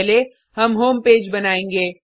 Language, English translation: Hindi, First, we will create the home page